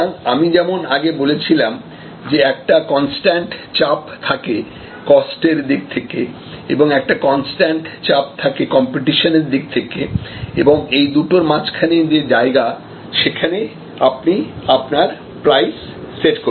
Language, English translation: Bengali, So, as I said earlier that there is a constant pressure from the cost side and there is a constant pressure from the competition side and in between is the arena, where you are setting your pricing